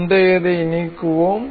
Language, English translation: Tamil, Let us delete the earlier one